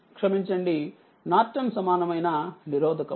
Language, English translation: Telugu, So, ah sorry Norton equivalent resistance